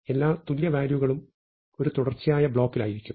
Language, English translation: Malayalam, So, all the equal values will be in a contiguous block